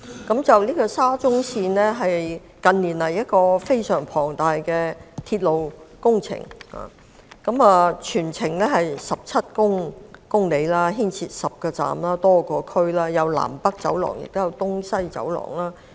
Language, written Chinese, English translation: Cantonese, 沙田至中環線是近年非常龐大的鐵路工程，全程長17公里，涉及10個車站和多個地區，既有南北走廊，亦有東西走廊。, The 17 - km Shatin to Central Link SCL is a mega railway project in recent years which involves the construction of 10 stations across a number of districts to form the North South Corridor and the East West Corridor